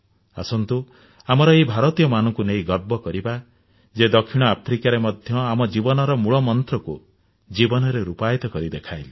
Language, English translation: Odia, Come, let us be proud about these Indians who have lived their lives in South Africa embodying our highest and fundamental ideals